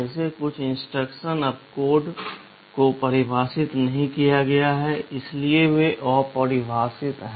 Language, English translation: Hindi, Well some instruction opcodes have not been defined, so they are undefined